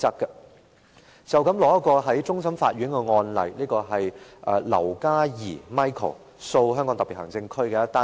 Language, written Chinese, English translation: Cantonese, 可以參考的，是一宗終審法院的案例劉嘉兒訴香港特別行政區。, A case from which we can draw reference is a Court of Final Appeal case LAU Ka Yee Michael v HKSAR